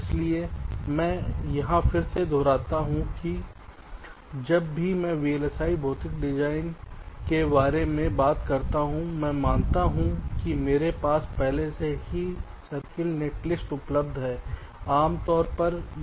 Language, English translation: Hindi, so again, i repeat, whenever i talk about vlsi physical design, i assume that i already have a circuit netlist available with me